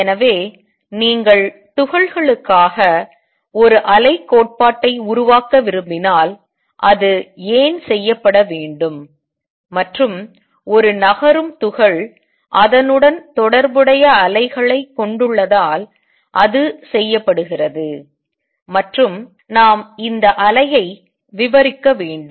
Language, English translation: Tamil, So, if you want to develop wave theory of particles why should it be done, and it is done because a moving particle has waves associated with it, and we want to describe this wave